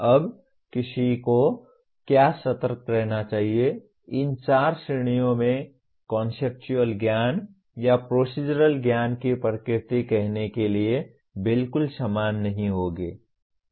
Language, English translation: Hindi, Now what one should be cautious about, the nature of knowledge in these four categories will not be exactly similar to let us say conceptual knowledge or procedural knowledge